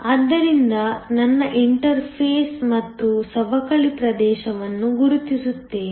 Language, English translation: Kannada, So, let me mark my interface and also the depletion region